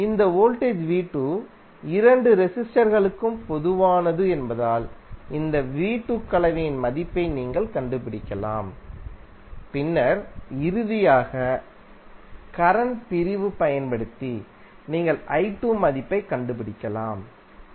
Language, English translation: Tamil, Since this voltage V2 is common for both resistors, you can find out the value V2, for this combination and then finally using the current division you can find out the value of pi2